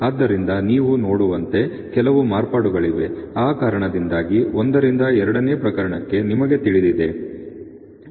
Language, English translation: Kannada, So, there are some variations as you can see you know from case one to case two because of that